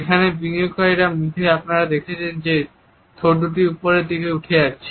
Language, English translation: Bengali, What you see here on the investors face is just the two lips going upwards